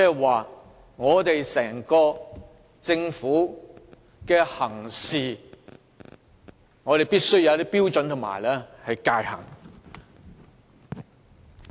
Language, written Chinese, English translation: Cantonese, 換句話說，整個政府的行事必須遵照一套標準和界限。, In other words the Government as a whole must follow a set of standards and limits